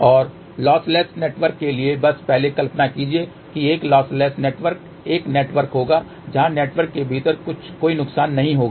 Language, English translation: Hindi, And for lossless network just imagine first a lossless network will be a network where there will be no losses within the network